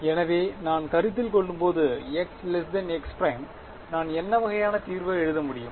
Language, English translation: Tamil, So, when I consider x not x is less than x prime what kind of solution can I write